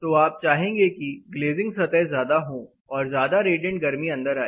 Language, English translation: Hindi, So, you want more glazing surface the radiant heat is welcome